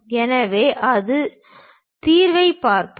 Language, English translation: Tamil, So, let us look at that solution